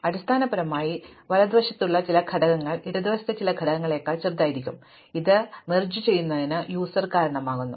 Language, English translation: Malayalam, So, basically some elements on the right might be smaller than some elements on the left and this is what results in merging